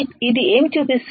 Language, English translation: Telugu, What does it show